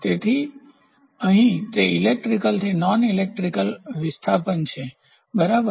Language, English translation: Gujarati, So, here it is electrical to non electrical displacement, right